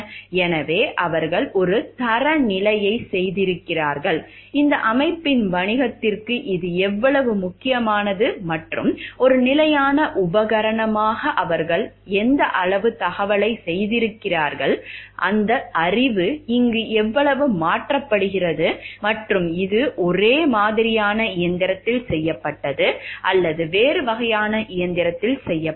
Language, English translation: Tamil, So, stand adaptation that they have done of a standard, how much it is important for the business of this organization and what degree of adaptation have they made as a standard piece of equipment, and how much that knowledge is transferred over here, and is it done to a similar kind of machine or it has been done to a different kind of machine